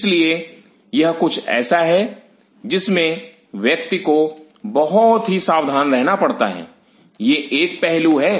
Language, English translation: Hindi, So, this is something which one has to be very careful this is one aspect